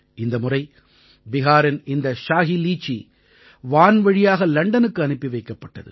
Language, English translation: Tamil, This time the Shahi Litchi of Bihar has also been sent to London by air